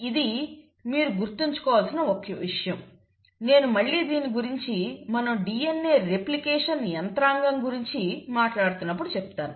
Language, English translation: Telugu, So this is one thing that I want you to remember and I will come back to this when we are talking about the mechanism of DNA replication